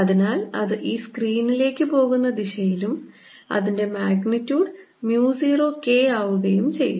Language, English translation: Malayalam, this is the direction, so it's going to be going into this screen and is magnitude is going to be k, mu zero